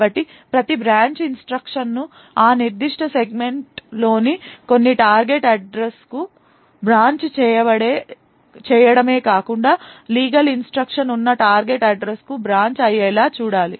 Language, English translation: Telugu, So, we need to ensure that every branch instruction not only branches to some target address inside that particular segment but also branches to a target address where a legal instruction is present, a legal instruction such as this and not this